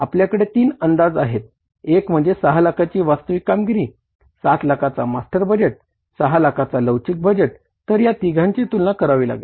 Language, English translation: Marathi, One is the master budget, another is the actual performance of 6 lakhs, master budget was for the 7 lakhs and then the flexible budget for 6 lakhs, so 3 comparisons